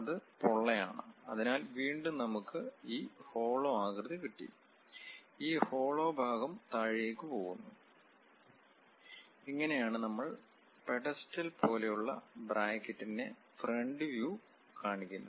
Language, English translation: Malayalam, And it is hollow, so again we have that hollow, all the way we have this hollow portion which goes all the way down; this is the way we represent front view of this pedestal kind of bracket